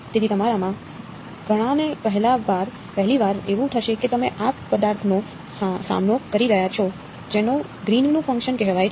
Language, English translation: Gujarati, So, to many of you it will be the first time that you are encountering this object called Greens functions ok